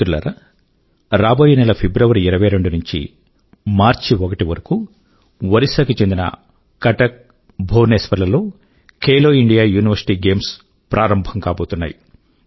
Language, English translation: Telugu, Friends, next month, the first edition of 'Khelo India University Games' is being organized in Cuttack and Bhubaneswar, Odisha from 22nd February to 1st March